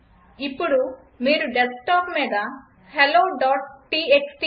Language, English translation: Telugu, Now on the desktop you can see the file hello.txt